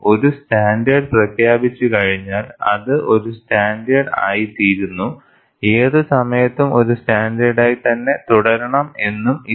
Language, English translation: Malayalam, It is not, once a standard is announced, it becomes a, remains a standard for any length of time